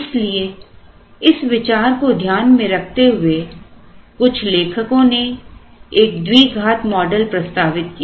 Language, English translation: Hindi, So, considering this in mind some authors proposed a quadratic model